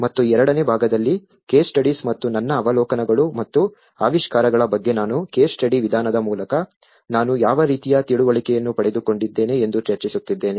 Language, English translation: Kannada, And in the second part, I will be actually discussing about the case studies and my observations and findings about what kind of understanding I got it through the case study approach